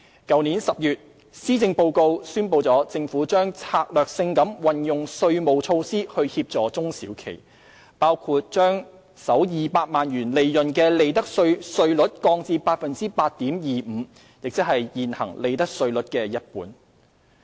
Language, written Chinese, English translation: Cantonese, 去年10月，施政報告宣布政府將策略性地運用稅務措施協助中小企業，包括將首200萬元利潤的利得稅稅率降至 8.25%， 即現行利得稅率的一半。, Last October the Government announced in the Policy Address that it would strategically utilize tax measures to assist SMEs . These include reducing the profits tax rate for the first 2 million of profits of enterprises to 8.25 % which is half of the existing profits tax rate